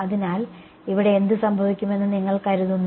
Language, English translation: Malayalam, So, what do you think will happen over here